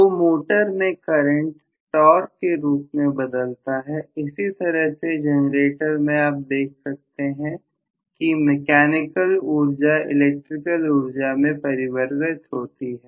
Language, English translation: Hindi, So the current is being converted into torque in a motor, in the same way in a generator you see the same way from the mechanical power you are converting into electrical power, Right